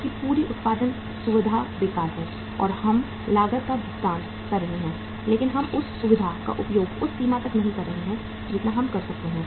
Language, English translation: Hindi, Your entire production facility is idle and we are paying the cost but we are not using that facility to the extent we could have done that